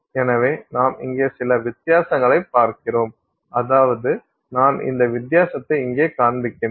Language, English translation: Tamil, So, you see some difference here which is, I mean, schematically I'm showing you this difference here